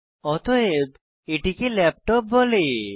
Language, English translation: Bengali, Hence, it is called a laptop